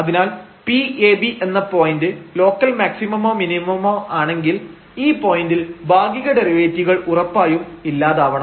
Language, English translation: Malayalam, So, if a point a b is a point of local maximum or local minimum, then definitely these partial derivatives must vanish at that point